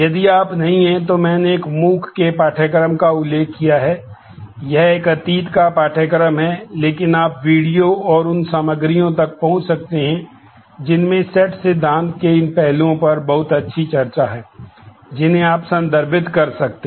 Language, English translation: Hindi, If you are not I have mentioned one MOOC’s course this is a past course, but you can access the videos and the contents which has a very nice discussion on these aspects of set theory which you may refer to